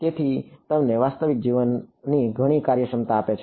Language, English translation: Gujarati, So, it gives you a lot of real life functionality ok